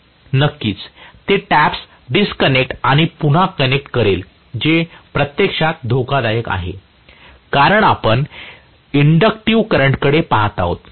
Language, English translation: Marathi, Of course it will disconnect and reconnect, you know the taps, which is actually dangerous, no doubt because you are looking at an inductive current